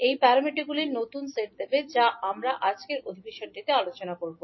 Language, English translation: Bengali, That will give the new set of parameters which we will discuss in today’s session